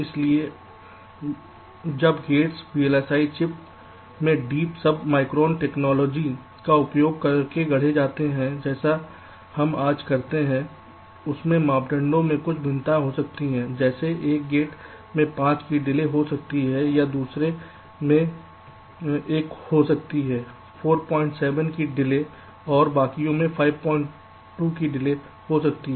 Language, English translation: Hindi, so when gates are fabricated in the vlsi chip using the kind of deep segmum submicron technology that we use today, there can be lot of variations in parameters, like one gate can be having a delay of five, or the other gate can be having a delay of four point seven